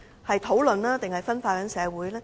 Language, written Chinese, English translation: Cantonese, 是討論還是分化社會？, Will there be discussions or divisions in society?